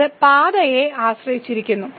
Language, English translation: Malayalam, So, it depends on the path